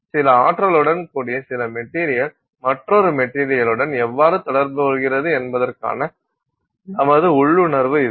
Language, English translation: Tamil, So, that is our intuitive feel for how some material with some energy interacts with another material on which it is incident